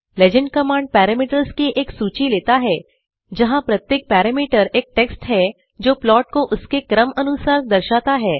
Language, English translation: Hindi, The legend command takes a single list of parameters where each parameter is the text indicating the plots in the order of their serial number